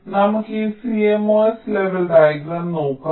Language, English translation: Malayalam, so let us look at this cmos level diagram